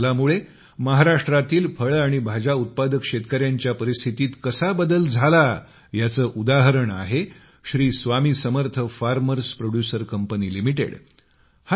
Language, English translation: Marathi, An example of how this reform changed the state of farmers growing fruits and vegetables in Maharashtra is provided by Sri Swami Samarth Farm Producer Company limited a Farmer Producer's Organization